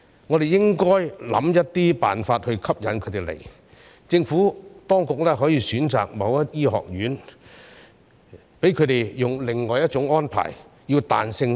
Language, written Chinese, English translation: Cantonese, 我們應該設法吸引他們前來，政府當局可以選擇某些學院，讓他們以另外一種安排，比較彈性的處理。, We should find ways to attract them to come to Hong Kong . The Administration can select specific medical schools and allow them to be dealt with in a different and more flexible way